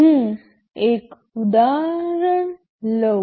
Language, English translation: Gujarati, Let me take an example